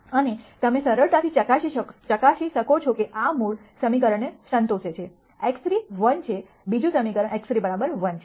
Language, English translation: Gujarati, And you can easily verify that this satis es the original equation since x 3 is 1, the second equation is x 3 equal to 1